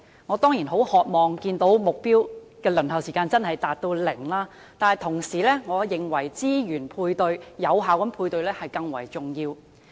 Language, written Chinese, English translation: Cantonese, 我當然很渴望看見服務的輪候時間真的能減至零，但我同時認為，資源的有效配對更為重要。, I am certainly eager to see that the waiting time can really be reduced to zero but at the same time I hold that effective matching of resources is more important